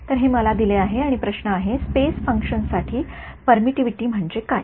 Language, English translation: Marathi, So, this is what is given to me and the question is: what is permittivity as a function of space